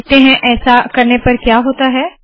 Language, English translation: Hindi, Let us see what happens when we do that